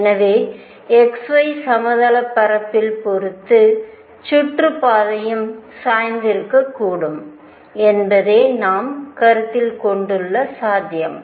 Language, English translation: Tamil, So, the possibility we are considering is that the orbit could also be tilted with respect to the xy plane